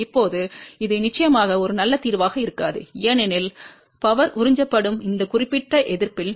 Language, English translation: Tamil, Now, this is definitely a definitely a not a good solution because the power will be absorbed in this particular resister